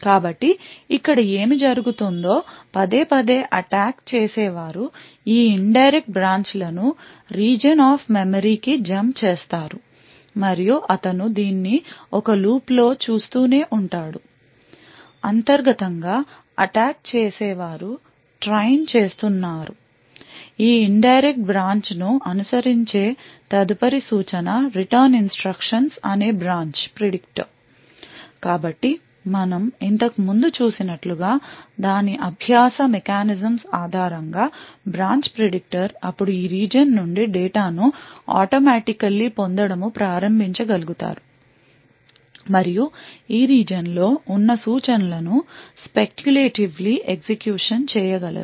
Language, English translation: Telugu, So therefore what would happen over here is repeatedly the attacker would make these indirect branches which Jump jumps to this region off memory and he keeps doing this in a loop internally what happens is that the attackers is training the branch predictor that the next instruction following this indirect branch is the return instruction so the branch predictor based on its learning mechanisms like the thing like we have seen before would then be able to automatically start fetching data from this region and speculatively execute the instructions present in this region